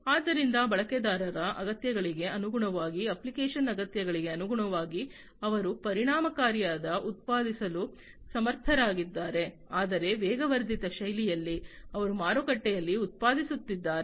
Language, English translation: Kannada, So, depending on the user needs, depending on the application needs, they are able to produce efficiently, but in an accelerated fashion, whatever they are producing in the market